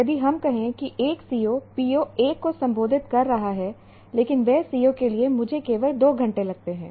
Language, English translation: Hindi, If let's say one CO is addressing PO 1, but that CO, I only take 2 hours